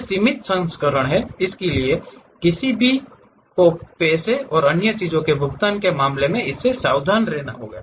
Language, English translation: Hindi, It has limited versions, so one has to be careful with that in terms of paying money and other things